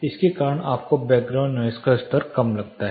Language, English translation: Hindi, Due to this you find the background noise level to be low